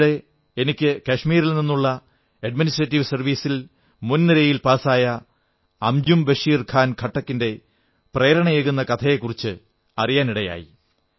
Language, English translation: Malayalam, Recently, I came to know about the inspiring story of Anjum Bashir Khan Khattak who is a topper in Kashmir Administrative Service Examination